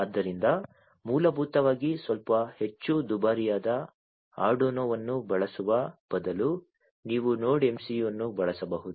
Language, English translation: Kannada, So, basically instead of using Arduino which is a little bit more expensive you could use the Node MCU